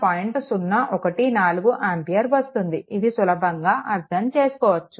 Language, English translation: Telugu, 014 ampere this is your i right so, this is easy to understand